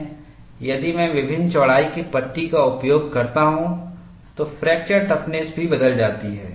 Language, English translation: Hindi, If I use panels of different widths, fracture toughness also changes